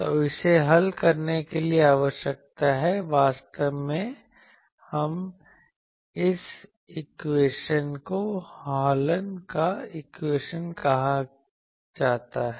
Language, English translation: Hindi, So, this needs to be solved actually this equation is called Hallen’s equation